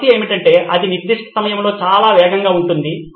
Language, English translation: Telugu, The problem is that it is too fast at that particular time